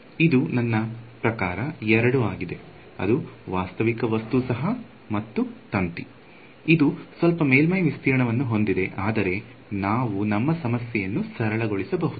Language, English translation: Kannada, It is a I mean it is a two it is a realistic object, it is a wire, it has some surface area, but we can simplify our problem